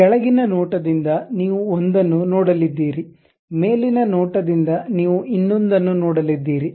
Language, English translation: Kannada, From bottom view you are going to see something; top view you are going to see something